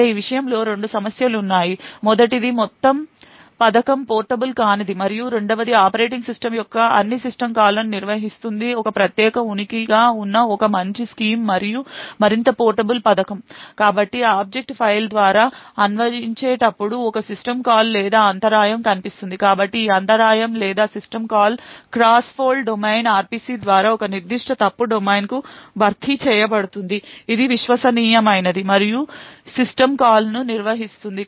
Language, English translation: Telugu, However there are two problems with this first it makes the entire scheme a non portable and secondly it would require consumable rewriting of the operating system a better scheme and a more portable scheme is where we have a separate entity which handles all system calls, so whenever while parsing through the object file one would see a system call or an interrupt, so this interrupt or system call is replaced by a cross fault domain RPC to a particular fault domain which is trusted and handle system calls